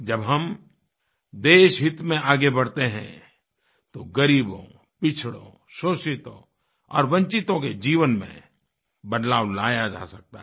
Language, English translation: Hindi, When we move ahead in the national interest, a change in the lives of the poor, the backward, the exploited and the deprived ones can also be brought about